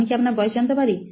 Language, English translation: Bengali, Can I ask your age